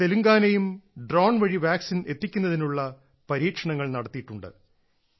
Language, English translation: Malayalam, Telangana has also done trials for vaccine delivery by drone